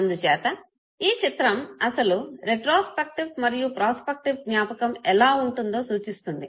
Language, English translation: Telugu, So this very image represents know what actually retrospective and prospective side of memory would be